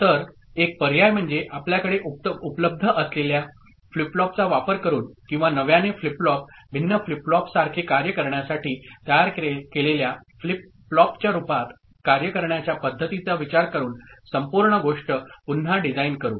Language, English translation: Marathi, So, one option is to redesign the entire thing using the flip flop that is available with you or thinking of a conversion mechanism by which the given flip flop, the available flip flop can be made to work like a different flip flop ok